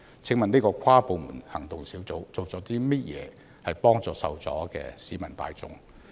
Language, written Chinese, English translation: Cantonese, 請問跨部門行動小組做了甚麼來幫助受阻的市民大眾？, May I ask what the inter - departmental action group has done to help the people who experienced delays?